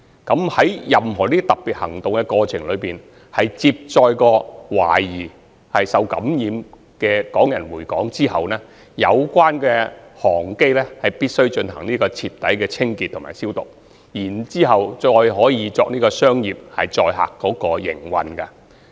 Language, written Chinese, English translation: Cantonese, 在任何這類特別行動中，如果有關航機曾接載懷疑受感染的港人，回港後必須進行徹底清潔及消毒，才可再用作商業載客的營運。, In any of this kind of special operation an aircraft that has carried Hong Kong people suspected of being infected must be thoroughly cleansed and disinfected upon its return to Hong Kong before it can be used to carry passengers again for business operations